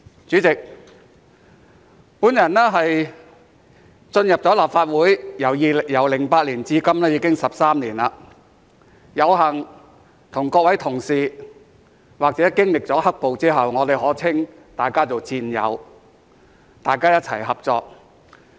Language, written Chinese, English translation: Cantonese, 主席，我進入立法會由2008年至今已經13年，有幸與各位同事，或經歷了"黑暴"後，我可稱大家為戰友，大家一起合作。, President it has been 13 years since I joined the Legislative Council in 2008 and I am fortunate to have the opportunity to work together with all of you or after experiencing the black - clad violence I can call you all comrades